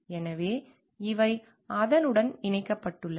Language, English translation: Tamil, So, these are connected to that